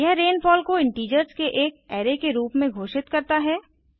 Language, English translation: Hindi, This declares rainfall as an array of integers